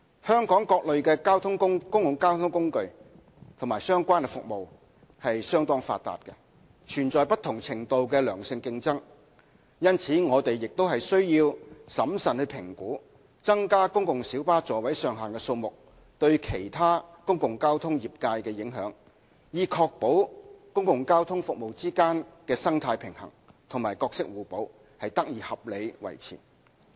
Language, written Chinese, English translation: Cantonese, 香港各類公共交通工具和相關服務相當發達，存在不同程度的良性競爭，因此我們亦須審慎評估增加公共小巴座位上限的數目對其他公共交通業界的影響，以確保公共交通服務之間的生態平衡及角色互補得以合理地維持。, As the various well - developed public transport modes and related services in Hong Kong are facing different degrees of competition we have to carefully review the impact of an increase in the maximum seating capacity of PLBs on other public transport trades so as to ensure that the delicate balance and complementary roles amongst various public transport services can be maintained